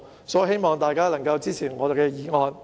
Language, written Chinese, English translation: Cantonese, 所以，我希望大家支持我提出的議案。, For these reasons I hope Members will support my motion